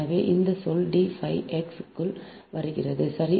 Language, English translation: Tamil, so this term is coming into d phi x right is equal to your